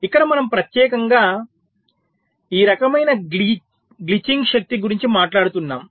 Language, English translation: Telugu, ok, so here we are specifically talking about this kind of glitching power